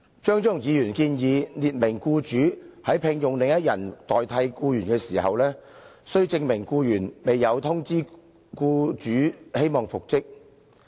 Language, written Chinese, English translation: Cantonese, 張超雄議員建議法例列明僱主在聘用另一人代替某僱員的時候，須證明該僱員未有通知僱主希望復職。, Dr Fernando CHEUNG proposes that the provisions stipulate that the employer has to show that he engaged the replacement for the employee without having heard from the employee that the employee wished to be reinstated